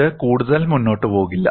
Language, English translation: Malayalam, It does not proceed further